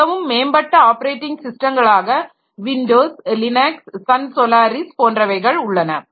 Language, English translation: Tamil, So, very advanced operating systems like, say, Windows or Linux or, or say, Sun Solaris and all